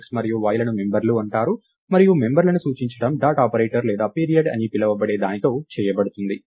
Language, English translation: Telugu, x and y are called members and referring to the members is done with what is called the dot operator or the period